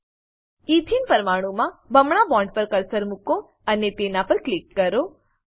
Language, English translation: Gujarati, Place the cursor on the double bond in the Ethene molecule and click on it